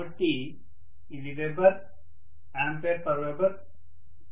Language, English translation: Telugu, So this will be weber, ampere per weber